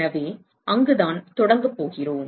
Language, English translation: Tamil, So, that is where we are going to start